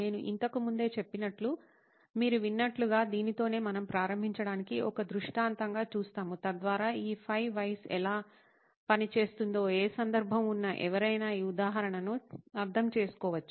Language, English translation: Telugu, As you heard me say earlier, so that is what we will look at as an illustration just to begin with so that anybody with any context can understand this example as to how these 5 Whys work